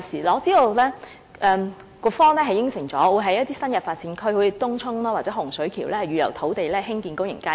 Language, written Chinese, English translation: Cantonese, 我知道局方已承諾會在新發展區，例如東涌或洪水橋預留土地興建公眾街市。, I know that the Policy Bureau concerned has undertaken to reserve land for the construction of public markets in new development areas for example Tung Chung and Hung Shui Kiu